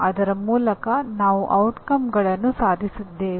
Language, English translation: Kannada, Through that we are attaining the outcomes